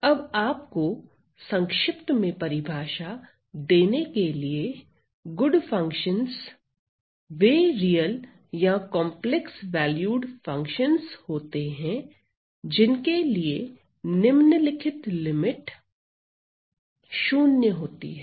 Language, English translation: Hindi, Now, to give you the definition in short, good functions are those real or complex valued function, good functions are those real or complex valued functions such that I have this following limit goes to 0